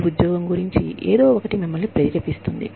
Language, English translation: Telugu, Something about your job, that motivates you